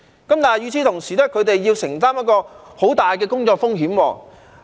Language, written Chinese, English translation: Cantonese, 但是，與此同時，他們要承擔很大的工作風險。, Nevertheless they must endure high risks at work at the same time